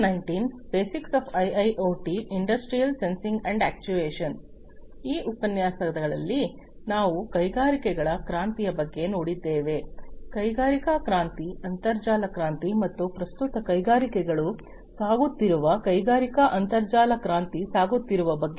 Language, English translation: Kannada, So, in the previous lectures, we have gone through the revolution of the industries, the industrial revolution, internet revolution, and at present the industrial internet revolution that the industries are going through